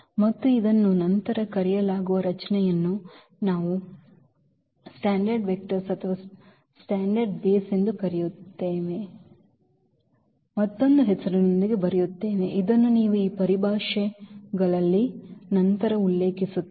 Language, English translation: Kannada, And the structure this is called the later on we will come up with another name this called the standard vectors or rather standard basis which you will refer later on this these terminologies